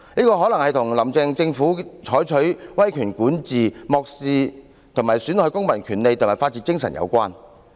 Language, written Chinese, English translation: Cantonese, 這可能是與"林鄭"政府採取威權管治、漠視及損害公民權利和法治精神有關。, This may be related to the Carrie LAM Administrations authoritarian governance and its indifference and hazard to civil rights and the rule of law